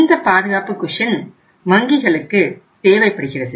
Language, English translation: Tamil, So this is the cushion required by the banks